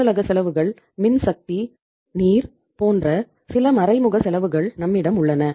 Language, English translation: Tamil, We have some indirect expenses like office expenses, electricity, power, water